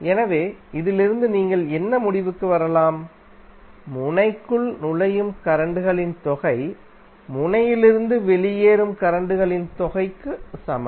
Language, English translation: Tamil, So from this, what you can conclude, that the sum of currents entering the node is equal to sum of currents leaving the node